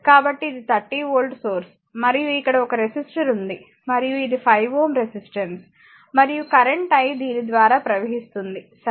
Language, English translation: Telugu, So, it is 30 volt source, and here one resistor is there and it is 5 ohm resistance and current flowing through this your is i, right